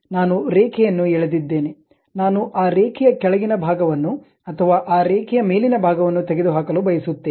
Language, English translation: Kannada, I have drawn something like line; I want to either remove this bottom part of that line or top part of that line